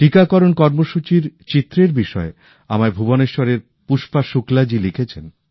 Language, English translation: Bengali, Pushpa Shukla ji from Bhubaneshwar has written to me about photographs of the vaccination programme